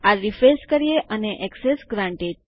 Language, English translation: Gujarati, We refresh this and Access is granted